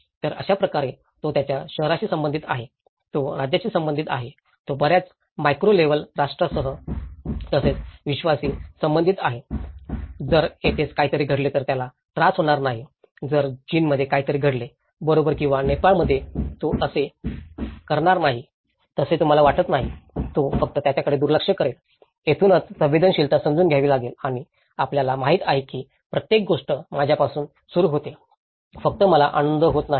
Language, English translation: Marathi, So, in that way, he is related to his town, he is related to the state, he is related to the much more macro level nation and as well as the universe so, if something happens here will he should not be bothered, if something happens in China, right or in Nepal, donít you think he will not; he will just ignore it so, this is where the sensitivity has to understand that you know everything starts with I, it is not just only I have to be happy